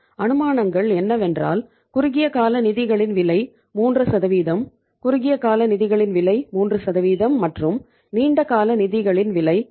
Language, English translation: Tamil, The assumptions are that the cost of the short term funds is 3%, cost of short term funds is 3% and the cost of long term funds is 8% right